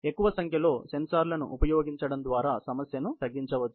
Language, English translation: Telugu, The problem may be reduced by using a greater number of sensors